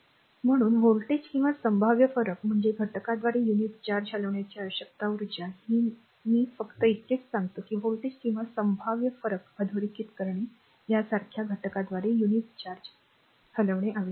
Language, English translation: Marathi, So, thus voltage or potential difference is the energy required to move a unit charge through an element right you will just I just I say thus why underline the voltage or potential difference is the energy require to move a unit charge through an element like figure look at the figure, figure 1